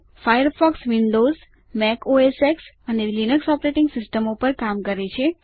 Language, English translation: Gujarati, Firefox works on Windows, Mac OSX, and Linux Operating Systems